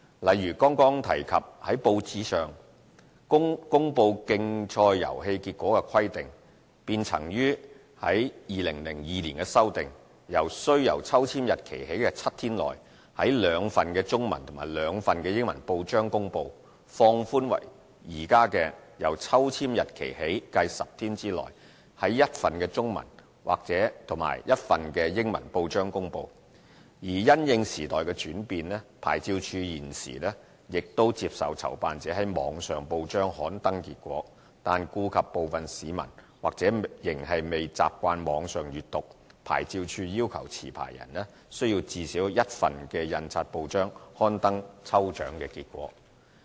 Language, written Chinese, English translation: Cantonese, 例如剛剛提及在報章上公布競賽遊戲結果的規定，便曾於2002年修訂，由"須由抽籤日期起計7天內，在兩份中文及兩份英文報章公布"，放寬為現時"由抽籤日期起計10天內，在一份中文及一份英文報章公布"；而因應時代轉變，牌照事務處現時亦接受籌辦者於網上報章刊登結果，但顧及部分市民或仍未習慣網上閱報，牌照事務處要求持牌人須在最少一份印刷報章刊登抽獎結果。, The original condition prescribing that competition results shall be published in two English and two Chinese newspapers within seven days from the date of draw was relaxed to competition results shall be published in one English and one Chinese newspaper within ten days from the date of draw . Keeping abreast with times OLA nowadays also accepts publishing of draw results by promoters in online newspapers . However some members of the public are still not used to reading newspapers online OLA requires promoters to publish draw results in at least one printed newspaper